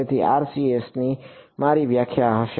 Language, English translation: Gujarati, So, my definition of RCS will be